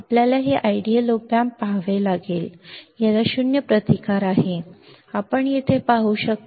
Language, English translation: Marathi, You have to we have to see this ideal op amp; it has zero zero resistance, you can see here